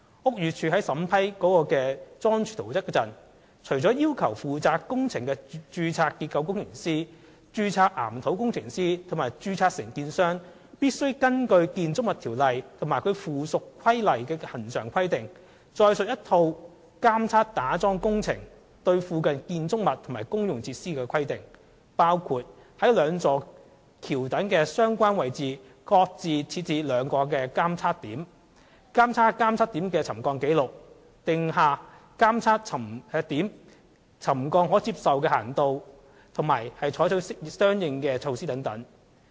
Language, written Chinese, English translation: Cantonese, 屋宇署在審批該樁柱圖則時，除要求負責工程的註冊結構工程師、註冊岩土工程師及註冊承建商須根據《建築物條例》及其附屬規例的恆常規定外，載述一套打樁工程對附近建築物及公用設施監測規定的細節，包括於該兩座橋躉的相關位置各設置兩個監測點；監察監測點的沉降紀錄；訂下監測點沉降的可接受幅度及採取的相應措施等。, And during the approval process BD required the registered structural engineer registered geotechnical engineer and registered contractor responsible for the building works to comply with the regular requirements under the Buildings Ordinance and its subsidiary regulations . Apart from that they also had to set out the technicalities of the monitoring requirements for the nearby buildings and services in relation to the piling works . Such technicalities include setting up two additional monitoring checkpoints at each relevant location of the two viaduct piers; keeping watch of the subsidence record of the monitoring checkpoints; setting down the tolerable limit for the monitoring checkpoints and the corresponding measures to be adopted